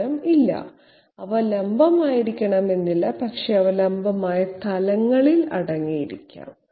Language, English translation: Malayalam, The answer is, no they are not necessarily vertical but they can be contained in vertical planes